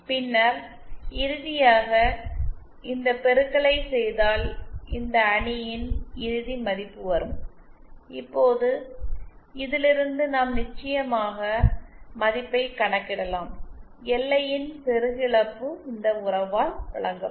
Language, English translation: Tamil, And then finally, if we do this multiplication the final value of this matrix that comes is… Now from this we can of course calculate the value, LI that is the insertion loss which is given by this relationship